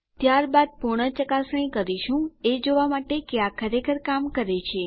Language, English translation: Gujarati, Then well give a full test to see if it really works